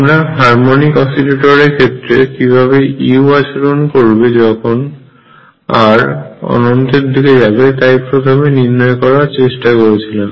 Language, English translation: Bengali, So, first thing as we did in harmonic oscillators and all that we wish to see how u behaves as r tends to infinity; behaviour of u as r tends to infinity